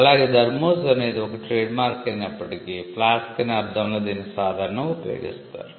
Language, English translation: Telugu, Thermos though it is a trademark is commonly used to understand flasks